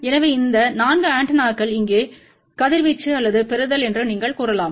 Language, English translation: Tamil, So, here are those 4 antennas you can say radiating or receiving part